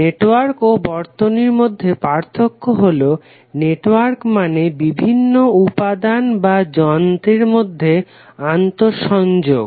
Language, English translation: Bengali, The difference between a network and circuit is that the network is and interconnection of elements or devices